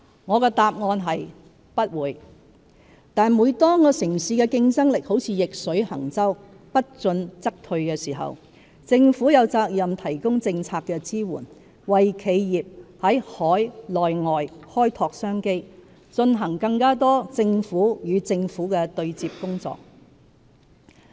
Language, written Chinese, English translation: Cantonese, 我的答案是"不會"，但當城市的競爭力如逆水行舟，不進則退時，政府有責任提供政策支援，為企業在海內外開拓商機，進行更多"政府與政府"的對接工作。, My answer is no; but the citys competitiveness is like a boat sailing against the current and it must forge ahead in order not to be driven back and hence the Government has every responsibility to provide policy support and explore business opportunities for enterprises locally and overseas and to engage in more government - to - government interactions